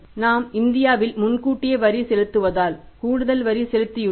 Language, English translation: Tamil, We have paid extra tax because we pay advanced tax in India